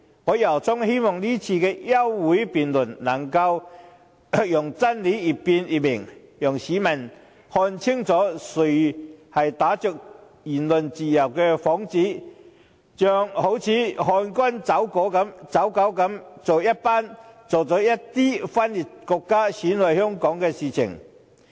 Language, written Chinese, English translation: Cantonese, 我由衷希望今次的休會辯論，能讓真理越辯越明，讓市民看清楚是誰打着"言論自由"的幌子，像漢奸走狗一樣做着一些分裂國家、損害香港的事情。, I sincerely hope that through the debate on the adjournment motion today as the more the truth is debated the clearer it will become so that people can see who has been like a traitor or stooge committing acts of secession and harm Hong Kong under the pretext of freedom of speech